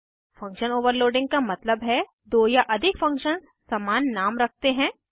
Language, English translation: Hindi, Function Overloading means two or more functions can have same name